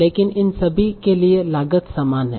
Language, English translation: Hindi, But all these costs were equal